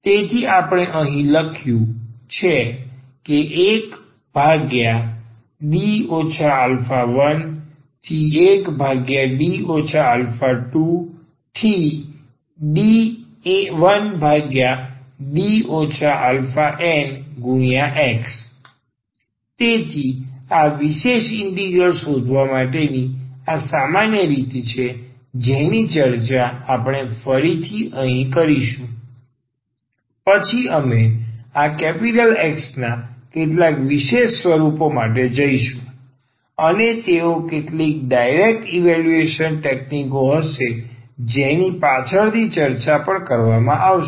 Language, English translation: Gujarati, So, this is the way general method for finding this particular integral which we are discussing at first later on we will go for some special forms of this X and they will be some direct evaluation techniques which will be also discuss later